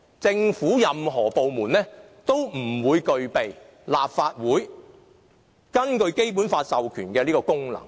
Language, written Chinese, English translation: Cantonese, 政府任何一個部門，也不會具備立法會根據《基本法》授權的這個功能。, No government departments cannot perform this very function vested with the Legislative Council under the Basic Law